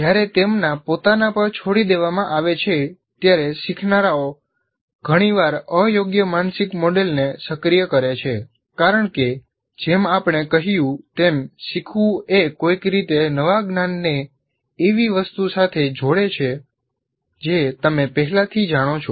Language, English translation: Gujarati, When left on their own learners often activate an inappropriate mental model because as we said, the learning constitutes somehow connecting the new knowledge to something that you already know